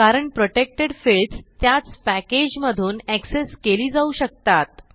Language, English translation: Marathi, This is because protected fields can be accessed within the same package